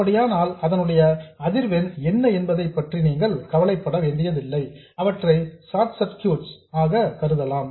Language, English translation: Tamil, In that case you don't have to worry about what the frequencies you can treat them as short circuits